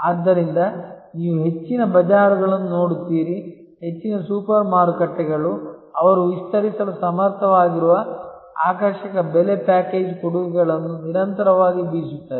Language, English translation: Kannada, So, that is why you will see the most of the bazaars, most of the super markets they continuously harp on the attractive pricing package offers which they are able to extend